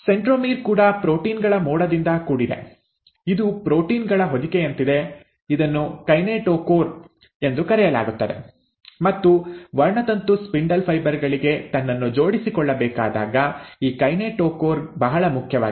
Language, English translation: Kannada, The centromere is also surrounded by a cloud of proteins, it is like a coat of proteins which is called as the kinetochore, and this kinetochore is very important when a chromosome has to attach itself to the spindle fibres